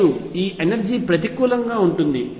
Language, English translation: Telugu, And this energy is going to be negative